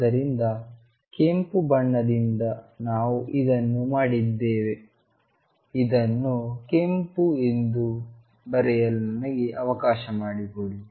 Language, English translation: Kannada, So, from red we have done this one let me write this one as red